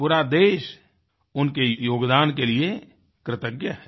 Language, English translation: Hindi, The country is indeed grateful for their contribution